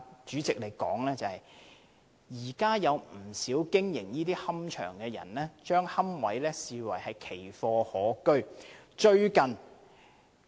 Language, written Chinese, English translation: Cantonese, 主席，現時不少龕場經營者將龕位視為奇貨可居。, President many operators of private columbaria are now regarding niches as sought after rarities